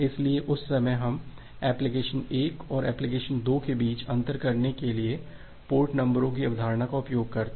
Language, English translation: Hindi, So, during that time we use the concept of port number, to differentiate between application 1 and application 2